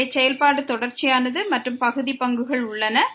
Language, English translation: Tamil, So, the function is continuous and the partial derivatives exist